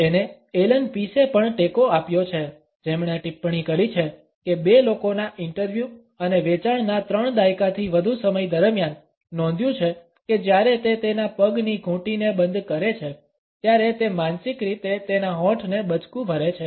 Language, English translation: Gujarati, It has been supported by Allan Pease also who has commented that, in his more than three decades of interviewing and selling two people, it has been noted that when it interviewing locks his ankle he is mentally biting his lips